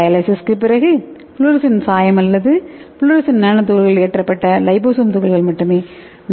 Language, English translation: Tamil, So when you do the dialysis then you will get the only liposome particle loaded with fluorescent dye or fluorescent nanoparticle okay